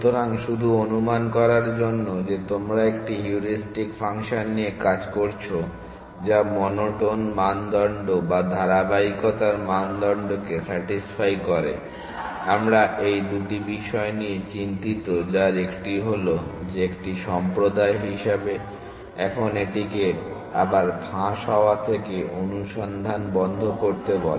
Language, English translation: Bengali, So, just to recap assuming that you are working with a heuristic function which satisfies the monotone criteria or the consistency criteria we are worried about two things 1 is that as a community, now calls it stop the search from leaking back